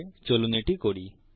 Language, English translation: Bengali, So lets try it